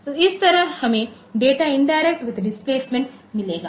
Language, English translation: Hindi, So, this way we can have this data indirect with displacement